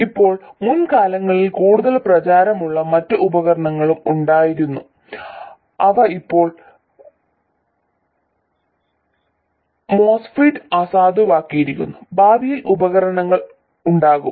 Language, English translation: Malayalam, Now there have been other devices also in the past which have been more popular in the past which are now superseded by the MOSFET and there will be devices in the future